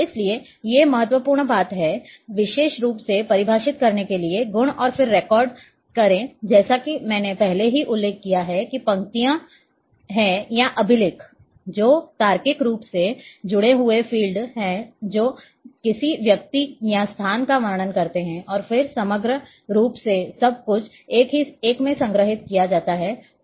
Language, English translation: Hindi, So, therefore, these are the very important thing the properties especially to define and then record as I have already mentioned that these rows or records, which are logically connected fields that describe a person place or a thing and then overall everything is stored in a file